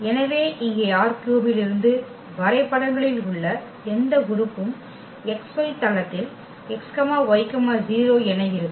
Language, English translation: Tamil, So, this any element here in R 3 it maps to this point in x y plain that is x y 0